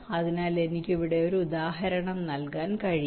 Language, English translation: Malayalam, so i can given example here